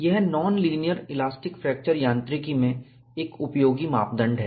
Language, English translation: Hindi, It is a useful parameter in non linear elastic fracture mechanics